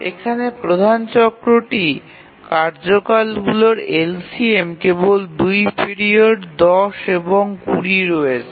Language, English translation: Bengali, The major cycle is the LCM of the task periods and here there are only two periods, 10 and 20